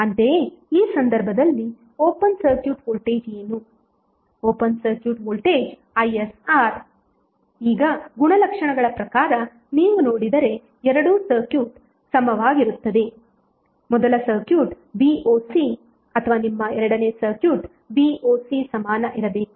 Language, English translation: Kannada, Ssimilarly, in this case what would be the open circuit voltage, open circuit voltage would be is into R now as per property if you see that both of the circuits are equivalent, your V o C for first circuit or Voc for second circuit should be equal